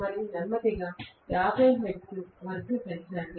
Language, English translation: Telugu, And slowly increase it to 50 hertz